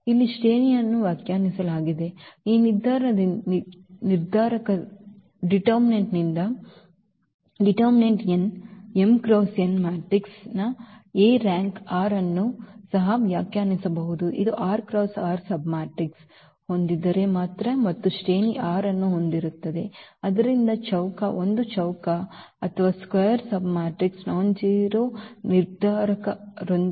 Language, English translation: Kannada, So, here the rank is defined can be also defined from this determinant as the n m cross n matrix A has rank r, this will have rank r when if and only if a has r cross r submatrix, so the square, a square are submatrix with nonzero determinant